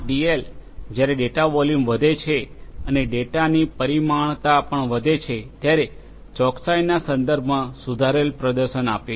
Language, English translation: Gujarati, And this DL, gives improved performance with respect to accuracy when the data volume increases and the dimensionality of the data also increases